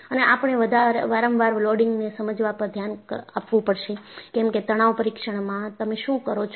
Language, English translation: Gujarati, And, we will have to look at the need for understanding repeated loading; because in a tension test, what you do